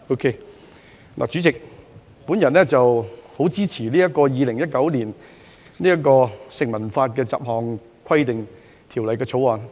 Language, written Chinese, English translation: Cantonese, 代理主席，我十分支持《2019年成文法條例草案》。, Okay? . Deputy President I strongly support the Statute Law Bill 2019 the Bill